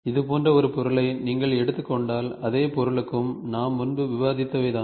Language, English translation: Tamil, If you take an object like this and for the same object what we were we were discussing prior